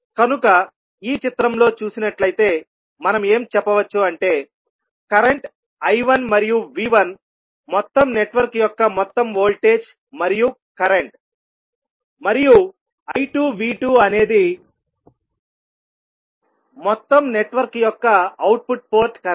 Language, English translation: Telugu, So, if you see in this figure, we say that current I 1 and V 1 is the overall voltage and current of the overall network, and V 2 I 2 is the output port current of the overall network